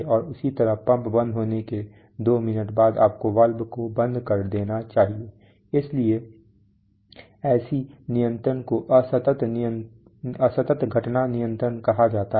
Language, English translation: Hindi, And similarly, two minutes after the pump is switched off you should switch off the valve, so such things, such control is called discrete event control